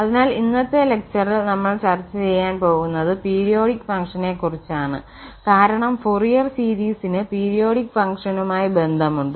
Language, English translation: Malayalam, So, in this today’s lecture we will be discussing what are the periodic functions because there is a connection of the Fourier series to periodic function